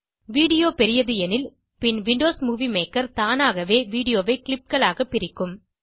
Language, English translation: Tamil, If the video is large, then Windows Movie Maker will automatically split the video into clips